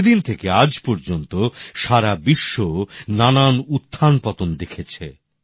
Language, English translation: Bengali, Since then, the entire world has seen several ups and downs